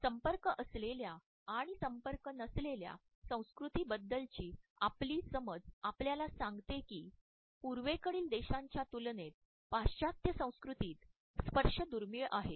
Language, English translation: Marathi, Our understanding of contact and non contact cultures tells us that in comparison to Eastern countries and Eastern cultures touching is relatively scarce in the Western cultures